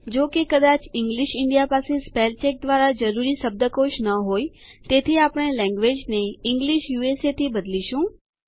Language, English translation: Gujarati, Since English India may not have the dictionary required by spell check, we will change the language to English USA